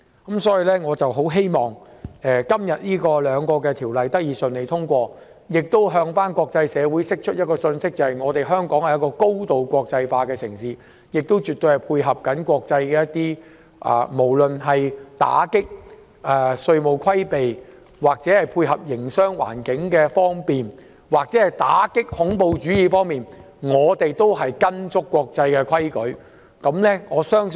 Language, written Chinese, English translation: Cantonese, 因此，我很希望這兩項命令能順利通過，向國際社會釋出一個信息：香港是高度國際化的城市，亦絕對配合國際做法，無論是打擊稅務規避、建立方便的營商環境或打擊恐怖主義，我們都緊跟國際規矩。, Therefore I very much hope for the smooth passage of these two orders so as to send a message to the international community that Hong Kong is a highly internationalized city which is absolutely prepared to complement international practices and follow international rules in respect of combating tax evasion establishing a business - friendly environment or combating terrorism